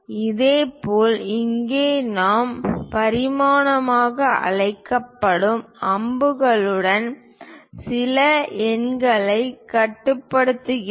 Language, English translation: Tamil, Similarly, here also we are showing some numerals with arrows those are called dimension